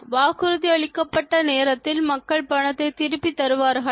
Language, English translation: Tamil, Do people return the money in promised time